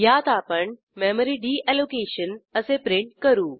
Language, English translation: Marathi, In this we print Memory Deallocation